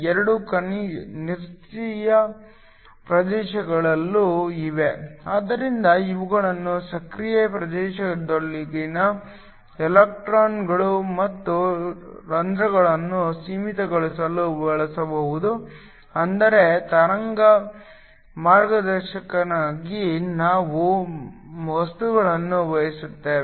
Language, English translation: Kannada, There also 2 inactive regions, so these can be used in order to confine the electrons and holes within the active region, but we also want materials in such a way in order to provide for wave guiding